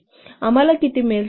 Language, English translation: Marathi, So I will get how much